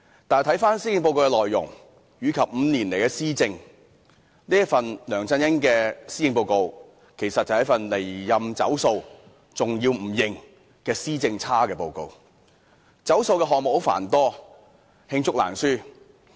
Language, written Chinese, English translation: Cantonese, 但是，回看施政報告的內容及梁振英5年來的施政，其施政報告其實是一份"離任走數"及拒認"施政差"的報告，而"走數"的項目繁多，罄竹難書。, Upon reviewing the contents of the Policy Address and LEUNG Chun - yings governance in the last five years it can be said that the Policy Address is indeed a report of his numerous counts of broken promises and denials of his poor administration